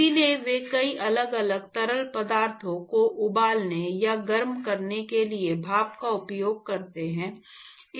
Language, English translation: Hindi, So, they use steam for boiling many different fluids, or heating many different fluids